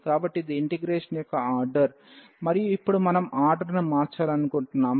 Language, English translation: Telugu, So, this was the given order of the integration, and now we want to change the order